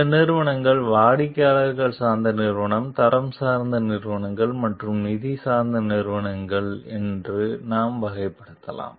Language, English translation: Tamil, We can classify these companies as customer oriented companies, quality oriented companies and the finance oriented companies